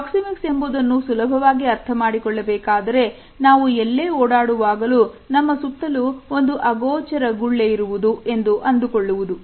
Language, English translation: Kannada, The idea of proxemics can be understood by suggesting that we walk within an invisible bubble